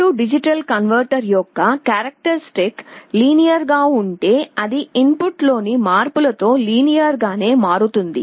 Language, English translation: Telugu, If the characteristic of the A/D converter is linear then it changes linearly with changes in the input